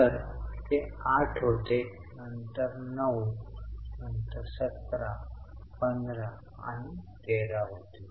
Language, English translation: Marathi, So, it becomes 8, then 9, then 17, 15 and 13